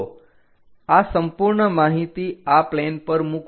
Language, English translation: Gujarati, So, map this entire stuff onto this plane